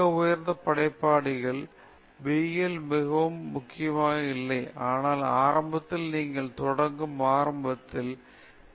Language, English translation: Tamil, In very highly creative people b is not so important as a, but initially you will start with, initially you will start with extrinsic motivator